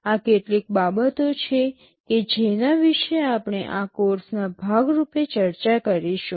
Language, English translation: Gujarati, These are a few things that we shall be discussing as part of this course